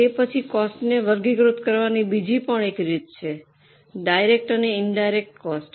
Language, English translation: Gujarati, Then there is another way of classifying the cost that is by direct and indirect